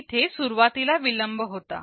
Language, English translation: Marathi, There was an initial delay